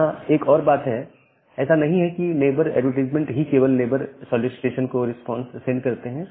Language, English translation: Hindi, Now, one feature is that, it is not like that neighbor advertisement are only send as a response to neighbor solicitation